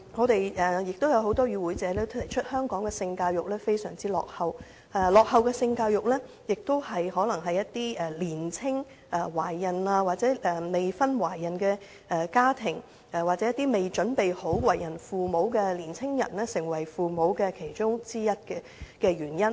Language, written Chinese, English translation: Cantonese, 多位與會者亦指出香港的性教育非常落後，而這可能是造成年青懷孕或未婚懷孕的家庭，又或是未準備好為人父母的年青人成為父母的其中一項原因。, Various participants in the meetings have also pointed out that sex education in Hong Kong is rather outdated . This may be one of the reasons for young or unwed women becoming pregnant or young people becoming parents when they are not yet ready